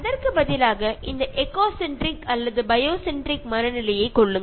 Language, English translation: Tamil, Instead of that, take this eco centric or biocentric mindset